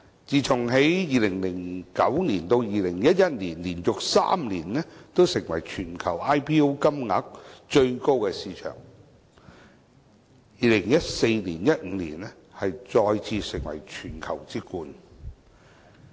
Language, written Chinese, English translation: Cantonese, 自從2009年至2011年連續3年成為全球 IPO 金額最高的市場後，香港在2014年、2015年再次成為全球之冠。, Since it became the market with the highest market capitalization in the whole world for three successive years from 2009 to 2011 Hong Kong came to the first in the world again in terms of market capitalization in 2014 and 2015